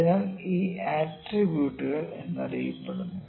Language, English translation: Malayalam, So, these are known as attributes